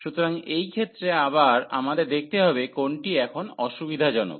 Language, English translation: Bengali, So, again in this case we have to see which one is convenient now